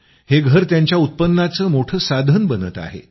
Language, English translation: Marathi, This is becoming a big source of income for them